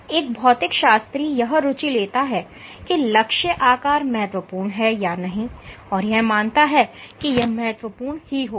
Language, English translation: Hindi, The physicist might be interested in asking does target shape matter and one would imagine that it does matter